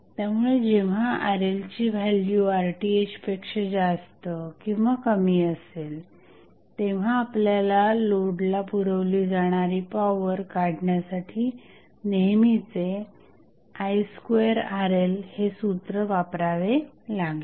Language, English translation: Marathi, So, when the value is Rth value, Rl value is either more than Rth or less than Rth we have to use the conventional formula of I square Rl to find out the power being transferred to the load